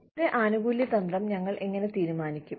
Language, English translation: Malayalam, How do we decide on a benefits strategy